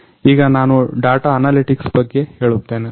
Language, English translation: Kannada, Now I will say about data analytics